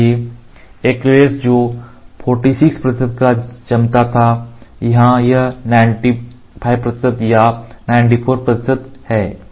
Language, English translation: Hindi, So, acrylate 46 percent curing, here it is 95 percent or 94 percent curing